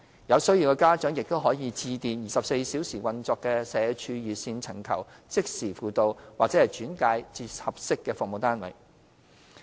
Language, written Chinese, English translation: Cantonese, 有需要的家長亦可致電24小時運作的社署熱線尋求即時輔導或轉介至合適的服務單位。, Parents in need may dial the 24 - hour SWD hotline to seek counselling or referral to appropriate service units